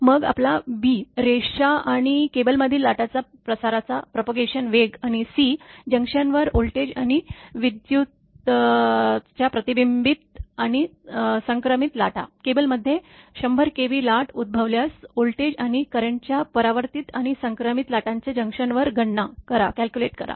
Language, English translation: Marathi, Then your b the velocities of wave propagation in the line and cable, and C the reflected and transmitted waves of voltage and current at the junction right, if the 100 kV surge originate in the cable, calculate the reflected and transmitted waves of voltage and current at the junction